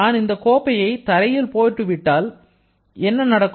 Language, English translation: Tamil, So, as I drop the cup to the floor then what will happen